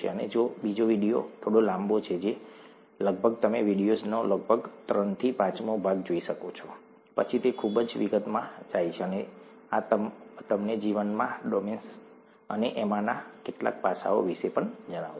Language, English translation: Gujarati, And the second video is slightly longer, about, you could watch about three fifths of that video, then it gets into too much detail and this would tell you all about the domains of life and some of these aspects also